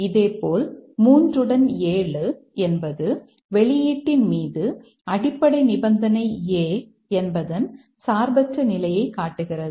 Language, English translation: Tamil, Similarly, 3 along with 7 also shows the independent influence of A on the outcome